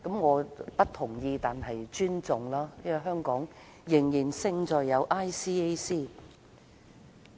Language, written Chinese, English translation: Cantonese, 我不同意但尊重，因為香港仍然勝在有 ICAC。, I do not agree but I respect its decision . After all the advantage of Hong Kong is that we still have ICAC